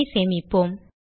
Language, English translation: Tamil, Save the program